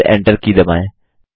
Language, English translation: Hindi, Then press the Enter key